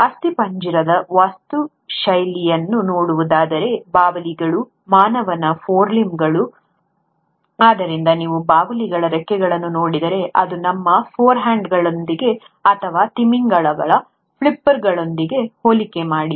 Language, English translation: Kannada, If one were to look at the skeletal architecture of, let’s say, bats, human forelimbs; so if you were to look at the wings of bats, compare that with our forehands or with the flipper of the whales